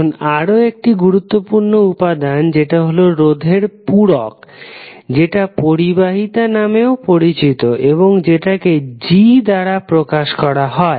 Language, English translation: Bengali, Now, another useful element in the circuit analysis is reciprocal of the resistance which is known as conductance and represented by capital G